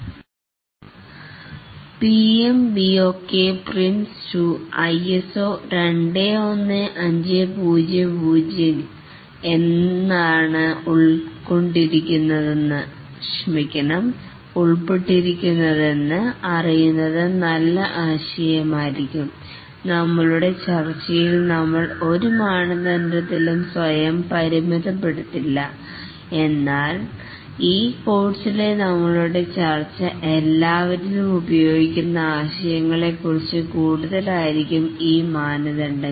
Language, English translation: Malayalam, It may be a good idea to know what is involved in the PMBOK Prince 2, ISO 21,500 and in our discussion we will not restrict ourselves to any one standard, but our discussion in this course will be more on concepts that are used across all these standards